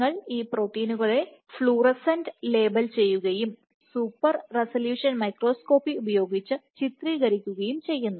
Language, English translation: Malayalam, So, you fluorescently label this proteins and then image using super resolution microscopy